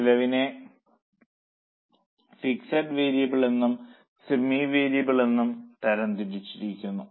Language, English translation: Malayalam, The cost will be classified into fixed variable and semi variable